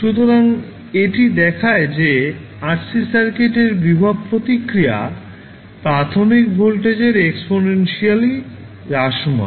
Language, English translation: Bengali, So this shows that the voltage response of RC circuit is exponential decay of initial voltage